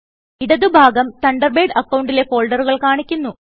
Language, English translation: Malayalam, The left panel displays the folders in your Thunderbird account